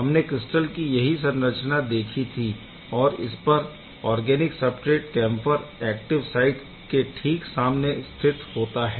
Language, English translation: Hindi, So, this is the crystal structure we have seen before and here is the organic substrate camphor that is place to right in front of the active site